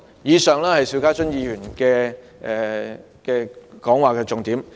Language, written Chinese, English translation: Cantonese, 以上是邵家臻議員的意見重點。, The points set out above are the gist of Mr SHIU Ka - chuns views